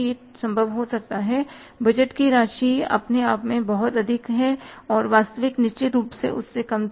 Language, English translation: Hindi, It may be possible that the budgeted amount was itself very high and actually had to be certainly lesser than that